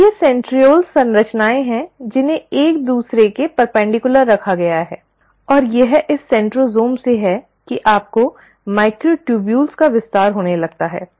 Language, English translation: Hindi, Now these centrioles are structures which are placed perpendicular to each other, and it is from this centrosome that you start having extension of microtubules